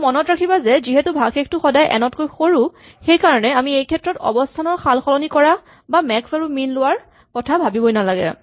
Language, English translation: Assamese, And remember that the remainder is always less than n so we do not have to worry about flipping it and taking max and min at this point